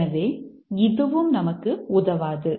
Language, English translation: Tamil, So, this also doesn't help us